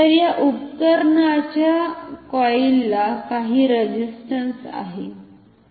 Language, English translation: Marathi, So, this coil the coil of this instrument has some resistance